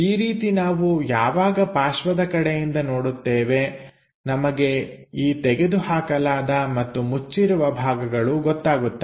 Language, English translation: Kannada, In that way when we are looking from side view, we have this open thing and closed one